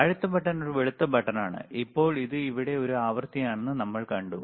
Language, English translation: Malayalam, Now, next button which is a white button, now we have seen this is a frequency here